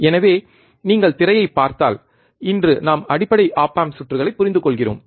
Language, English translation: Tamil, So, if you look at the screen, today we are understanding the basic op amp circuits